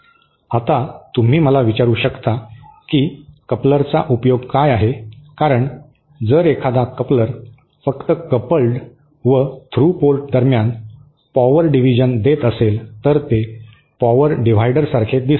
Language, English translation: Marathi, Now, you might ask me what is the application of a coupler because if a coupler is just providing power division between the coupled and through ports, then it looks very similar to a power divider